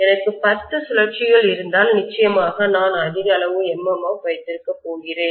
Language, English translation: Tamil, If I have 10 turns, definitely I am going to have a higher amount of MMF